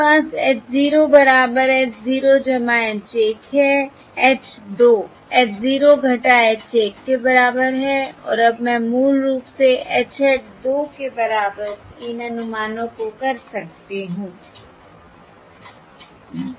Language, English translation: Hindi, capital H 2 equals small h 0 minus small h 1, and now I can basically do these estimates as capital H 2 H hat 2 equals